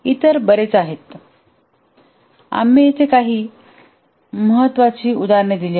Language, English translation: Marathi, There are many other, we just given some important examples here